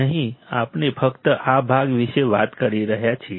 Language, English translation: Gujarati, Here the we are just talking about this part